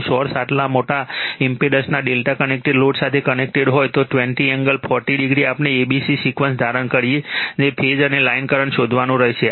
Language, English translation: Gujarati, If the source is connected to a delta connected load of this much of impedance, 20 angle 40 degree we have to find out the phase and line current assuming abc sequence